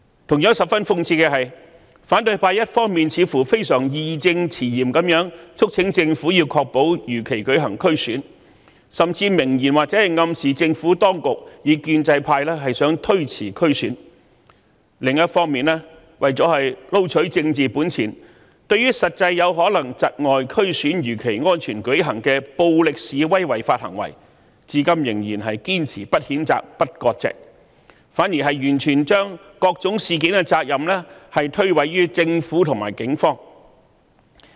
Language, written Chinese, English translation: Cantonese, 同樣，十分諷刺的是，反對派一方面非常義正詞嚴地促請政府確保如期舉行區議會選舉，甚至明言或暗示政府當局和建制派企圖推延區議會選舉，但另一方面，為了撈取政治本錢，對於實際有可能窒礙區議會選舉如期安全舉行的暴力示威違法行為，卻至今仍然堅持不譴責、不割席，反而將各種事件的責任完全推諉於政府和警方。, It is equally ironical that those from the opposition camp have on the one hand very righteously urged the Government to ensure that the DC Election will be held as scheduled and even have suggested expressly or by implication that the Government and the pro - establishment camp are trying to delay the DC Election but on the other hand in order to strive for political capital they have so far refused to condemn of and sever ties with violent protests and illegal acts which may in fact obstruct the safe conduct of the DC Election as scheduled and have instead laid all the blame on the Government and the Police